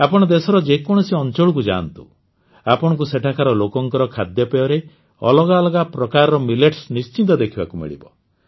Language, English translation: Odia, If you go to any part of the country, you will definitely find different types of Millets in the food of the people there